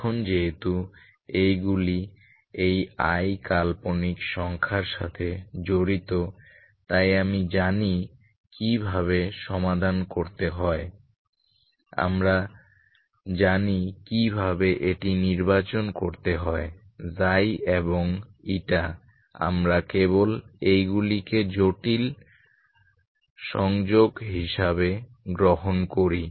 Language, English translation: Bengali, Now because these are involve in this imaginary number I so we know how to solve in, we know how to choose this Xi and eta we simply take these are complex conjugates